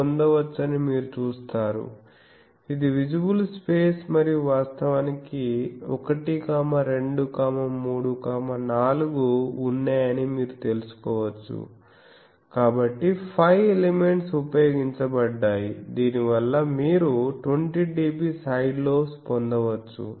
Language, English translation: Telugu, So, you see that this can be obtained, this is the visible space and you can find out that there are actually 1, 2, 3, 4 so, 5 elements are used by that you can get 20 dB side lobes etc